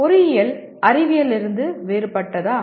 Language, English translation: Tamil, Is engineering different from science